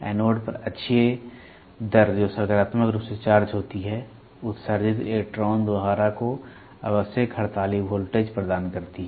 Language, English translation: Hindi, The axial rate at anode which is positively charged provides the necessary striking voltage to the emitted electron stream